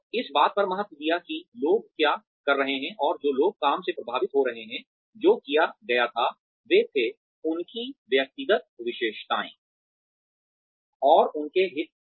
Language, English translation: Hindi, Emphasized on the, what the people doing the work, and the people being affected by the work, that was done, were being, their personal characteristics, and their interests were